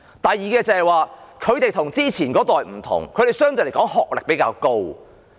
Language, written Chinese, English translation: Cantonese, 第二，現今的長者與上一代的不同，他們的學歷都相對較高。, Second the elderly people nowadays are different from those in the last generation as they have higher education qualifications now